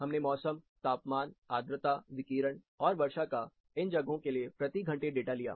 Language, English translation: Hindi, We took the hourly weather data, temperature, humidity, radiation, and precipitation data, for these locations